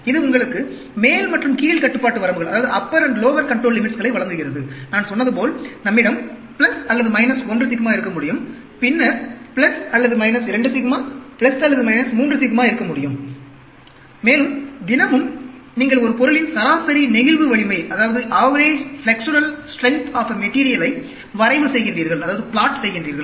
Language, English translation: Tamil, It gives you a upper and lower control limits; like I said, we can have plus or minus 1 sigma, then plus or minus 2 sigma, plus or minus 3 sigma, and everyday you plot the average flexural strength of a material